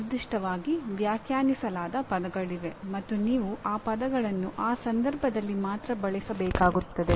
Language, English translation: Kannada, There are terms that are defined specifically and you have to use those terms only in that context